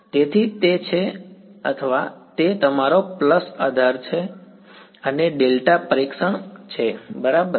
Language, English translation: Gujarati, So, that is or that is your pulse basis and delta testing ok